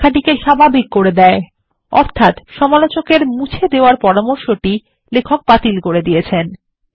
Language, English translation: Bengali, This makes the text normal, ie the suggestion of the reviewer to delete, has been rejected by the author